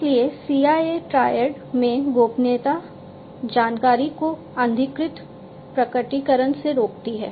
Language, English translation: Hindi, So, confidentiality in the CIA Triad stops from unauthorized disclosure of information